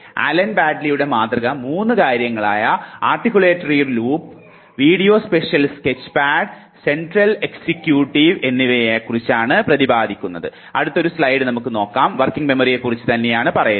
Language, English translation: Malayalam, Allen Baddeleys model talks about 3 things Articulatory Loop, The Visio spatial sketchpad and the Central executive